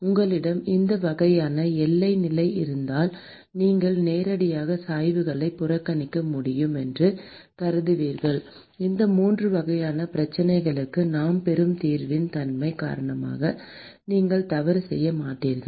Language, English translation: Tamil, If you have these 2 types of boundary condition then, you would assume you can directly ignore the gradients; and you would not make a mistake because of the nature of the solution that we will get for these 3 types of problem